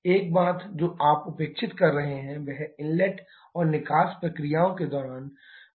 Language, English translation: Hindi, One thing that you are neglecting is the fluctuation during the inlet and exhaust processes